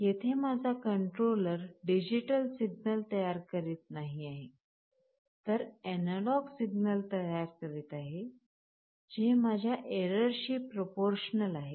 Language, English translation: Marathi, Here my controller is not generating a digital signal, but is generating an analog signal is proportional to my error